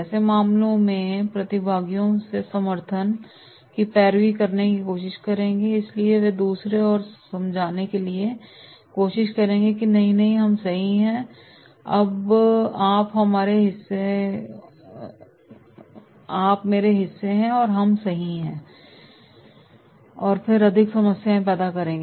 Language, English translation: Hindi, In such cases they will try to lobby support from the participants, so they will try to convince others that “No no we are right, you are part of me and we are right” and then creating more problems